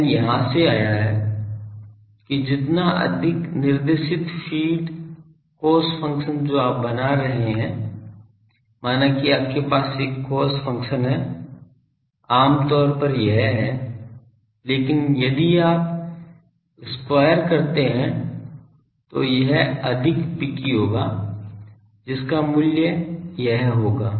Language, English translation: Hindi, n is, n come from here that more directed feed, cos function you are making suppose you have a cos function is generally these, but if you square it will be more picky that will the value will be this sorry